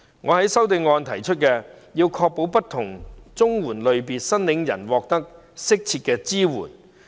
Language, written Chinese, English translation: Cantonese, 我在修正案提出，要確保不同綜援類別申領人獲得更適切的支援。, In my amendment I have suggested the need to ensure that different categories of CSSA recipients can receive more appropriate support